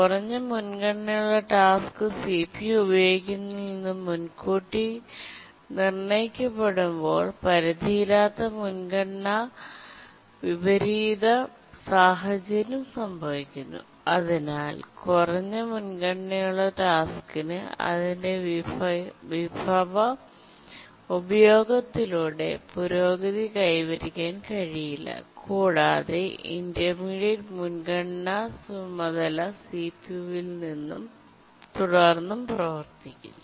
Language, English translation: Malayalam, That's a simple priority inversion, but an unbounded priority inversion situation occurs where the low priority task has been preempted from using the CPU and therefore the low priority task is not able to make progress with its resource uses and the intermediate priority task keep on executing on the CPU